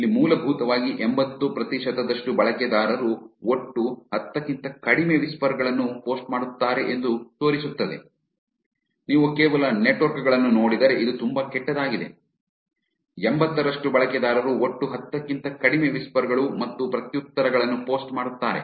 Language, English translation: Kannada, Here it is basically showing that 80 percent of the users post less than 10 total whispers, which is actually pretty bad if you just look at the networks, 80 percent of the users post less than 10 total whispers and replies